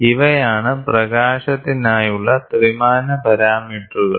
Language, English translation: Malayalam, These are the 3 dimensional parameters so of for light